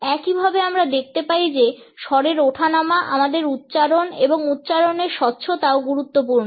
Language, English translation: Bengali, Similarly we find that intonation our tone, our pronunciation, and the clarity of articulation are also important